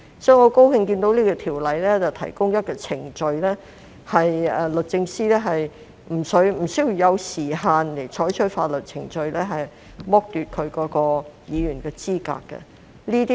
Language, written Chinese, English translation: Cantonese, 所以，我很高興看到《條例草案》提出一項程序，就是律政司司長可沒有時限採取法律程序，以剝奪該議員的資格。, Thus I am very glad that the Bill has introduced a procedure for the Secretary for Justice to institute legal proceedings to disqualify that Member without any time limit